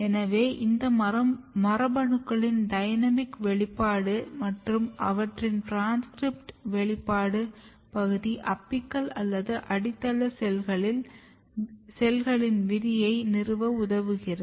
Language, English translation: Tamil, So, there is a dynamic expression and their transcript expression domain of these genes which basically helps in establishing apical fate of the cells or basal fate of the cells